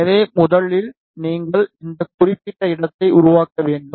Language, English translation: Tamil, So, Firstly you need to make this particular place